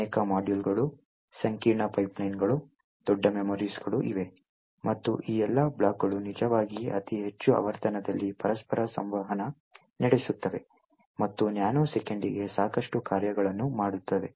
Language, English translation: Kannada, There are multiple modules, a large number of pipelines, large memories and all of these blocks are actually interacting with each other at very high frequency and doing a lot of operations per nano second